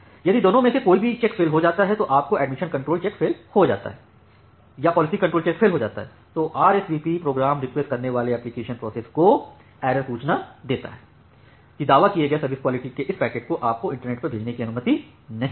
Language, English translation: Hindi, If either of the check fails like either your admission control check fails or the policy control check fails, then the RSVP program returns an error notification to the application process that generated that request, that you are not allowed to send this packet over the internet with this quality of service which you are claiming